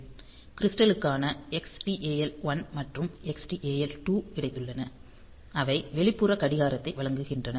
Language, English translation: Tamil, Then the crystals we have got Xtal 1 and Xtal 2, so they are providing external clock